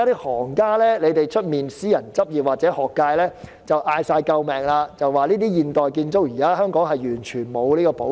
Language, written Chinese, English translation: Cantonese, 外間私人執業或學界的行家正大聲求救，指現時香港對現代建築完全沒有保育。, Other experts in private practice or in the academic field outside the framework are yelling for help in view of the total lack of conservation of modern architecture in Hong Kong